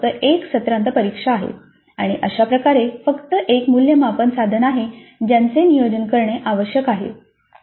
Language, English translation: Marathi, There is only one semester and examination and thus there is only one assessment instrument that needs to plan